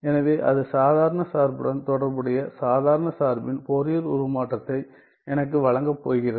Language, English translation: Tamil, So, that is going to give me the Fourier transform of the ordinary function corresponding ordinary function